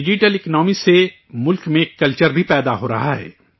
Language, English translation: Urdu, A culture is also evolving in the country throughS Digital Economy